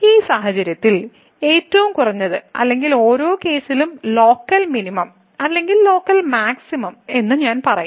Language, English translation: Malayalam, So, in this case the minimum or rather I would say the local minimum in each case or local maximum